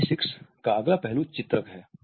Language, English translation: Hindi, Next aspect of kinesics is illustrators